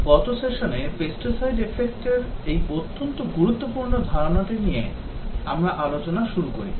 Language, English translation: Bengali, Last session we started discussing about this very important concept of the Pesticide Effect